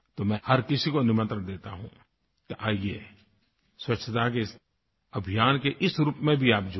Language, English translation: Hindi, I invite one and all Come, join the Cleanliness Campaign in this manner as well